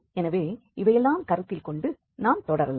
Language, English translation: Tamil, So with this consideration we can move further now